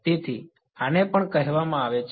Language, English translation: Gujarati, So, this is also called